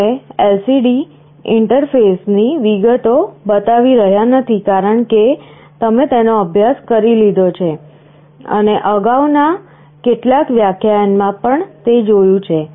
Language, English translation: Gujarati, We are not showing the details of LCD interface, because you have already studied this and saw in some earlier lecture